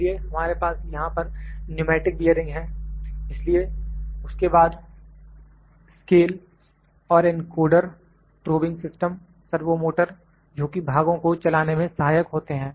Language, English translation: Hindi, So, we have pneumatic bearings here so, then, scales and encoders, probing system, servo motors which are just making the parts to move